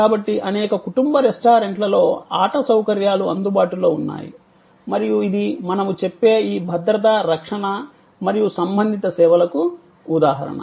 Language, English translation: Telugu, So, there are play facilities available in many family restaurants and that is an example of what we call this safety security and related services